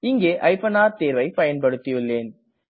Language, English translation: Tamil, I have used the r option